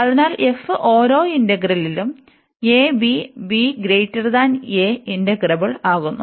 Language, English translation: Malayalam, So, this f is integrable on each integral a to b